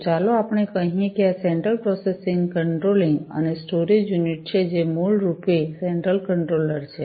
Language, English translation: Gujarati, So, let us say that this is the central processing controlling and storage unit, which is basically the central controller